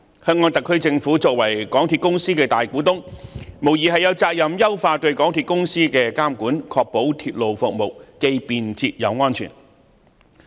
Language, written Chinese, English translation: Cantonese, 香港特區政府作為港鐵公司的大股東，無疑有責任優化對港鐵公司的監管，確保鐵路服務既便捷又安全。, The Hong Kong SAR Government as the majority shareholder of MTRCL undoubtedly has a responsibility of enhancing its supervision over MTRCL so as to ensure the provision of convenient efficient and safe railway services